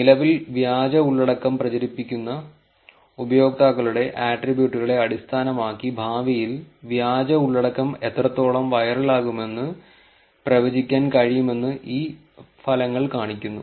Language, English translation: Malayalam, These results show us that it is possible to predict how viral, the fake content would become in future based on the attributes of the users currently propagating the fake content